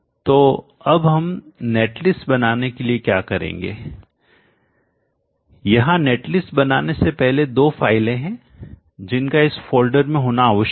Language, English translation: Hindi, So now what we will do is to create a net list before creating the net list there are two files that needs to exist in this folder one is the PV